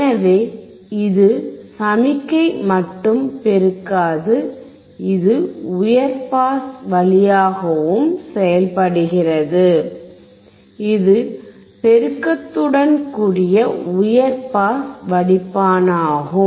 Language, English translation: Tamil, So, this will not only amplify the signal, if it also act as a high pass way, it is a high pass filter along with amplification